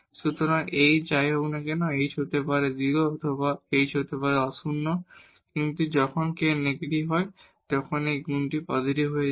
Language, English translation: Bengali, So, whatever h is h may be 0 or h may be non zero, but when k is negative this product is going to be positive